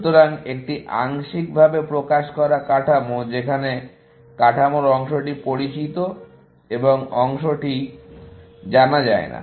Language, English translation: Bengali, So, a partially elicited structure where, part of the structure is known, and part is not known